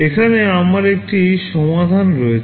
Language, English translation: Bengali, Here I have a solution